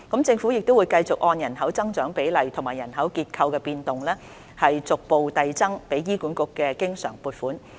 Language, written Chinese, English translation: Cantonese, 政府會繼續按人口增長比例和人口結構變動，逐步遞增給予醫管局的經常撥款。, The Government will continue to increase progressively the recurrent funding for HA having regard to population growth rates and demographic changes